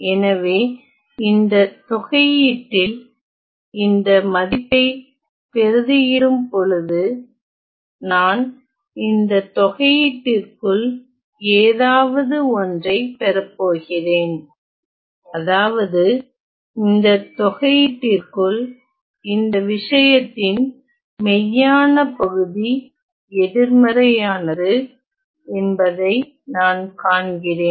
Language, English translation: Tamil, So, when we substitute this value in this integral I am going to get something inside this integral such that what I see is that the real part of this thing inside this integral the real part is negative